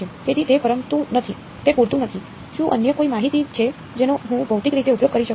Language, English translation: Gujarati, So, that is not sufficient; is there any other information that I can use physically